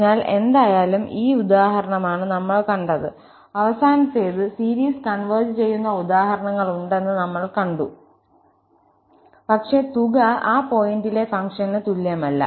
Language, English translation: Malayalam, So, anyway, this is the example we have seen, the last one, we have seen that there are examples where the series converges, but the sum is not equal to the function at that point